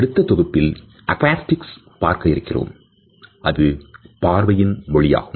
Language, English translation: Tamil, In our next module we will look at the oculesics, the language of the eye contact